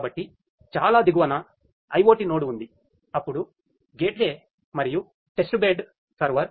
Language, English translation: Telugu, So, at the very bottom is the IoT node, then is the gateway and the testbed server